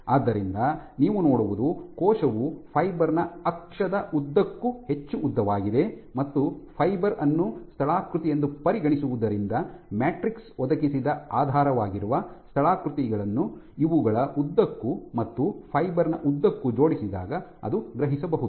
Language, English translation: Kannada, So, what you see is the cell almost longest along the long axis of the fiber taking the fiber as a topography it can sense the underlying topography provided by the matrix it aligns along these and walks along the fiber